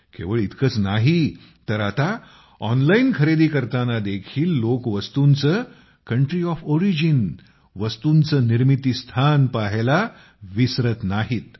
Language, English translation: Marathi, Not only that, nowadays, people do not forget to check the Country of Origin while purchasing goods online